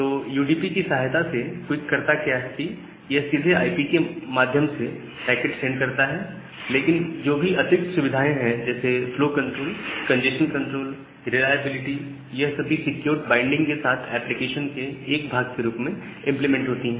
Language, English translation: Hindi, So, with the help of UDP, what QUIC does, that it directly send a packet via IP, but whatever additional facilities like flow control, congestion control, reliability, all these things are there, they are implemented as a part of application with a secure binding